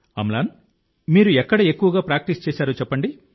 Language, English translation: Telugu, Amlan just tell me where did you practice mostly